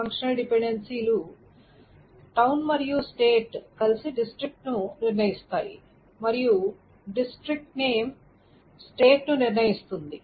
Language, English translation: Telugu, So which were, so the functional dependencies are town and state together determines the district and the district name determines the state